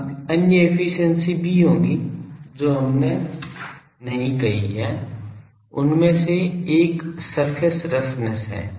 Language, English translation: Hindi, Now, there will be other efficiencies also which we have not said, one of that is the surface roughness